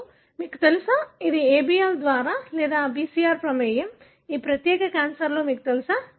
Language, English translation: Telugu, So now you know, this is in the, for example ABL or BCR is involved in, you know, this particular cancer